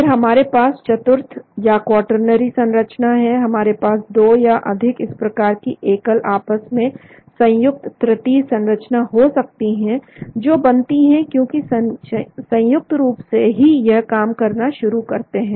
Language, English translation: Hindi, Then we have the quaternary structures, we may have a 2 or more individual these tertiary structures combined together , to form because as a whole only really they start acting